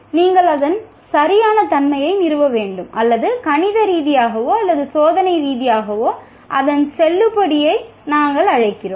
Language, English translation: Tamil, You have to establish its correctness or what we call validity of that either mathematically or experimentally